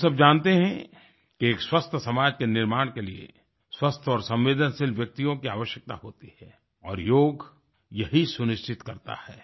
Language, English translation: Hindi, We all know that healthy and sensitive denizens are required to build a healthy society and Yoga ensures this very principle